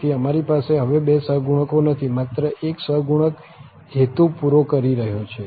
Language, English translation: Gujarati, So, we do not have two coefficients now, only one coefficient is serving the purpose